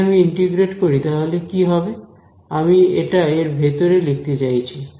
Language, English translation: Bengali, So, if I integrate this what will happen, I am going to put this inside over here